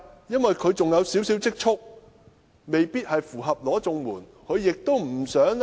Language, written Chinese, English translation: Cantonese, 因為他們仍有少許積蓄，未必符合領取綜援的資格。, It is because they may not be eligible recipients of CSSA as they still have a little savings